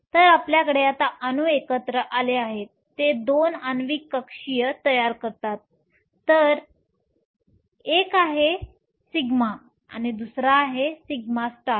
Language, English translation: Marathi, So, You now have the atoms come together they form 2 our molecular orbitals 1 is sigma the other is sigma star